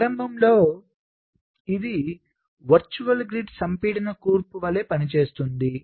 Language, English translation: Telugu, so initially it works like the virtual grid compaction composition